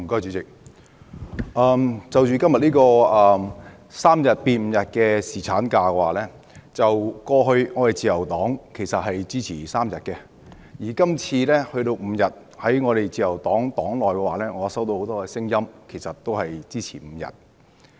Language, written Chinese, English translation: Cantonese, 主席，就今天這項將侍產假由3天增至5天的修正案，過去自由黨支持3天，而今次增至5天，我在自由黨內聽到很多聲音都支持增至5天。, President the legislative amendment under debate today is introduced by the Government to extend paternity leave from three days to five days . In the past the Liberal Party supported three days paternity leave and this time round many views I heard in the party are also in favour of the extension to five days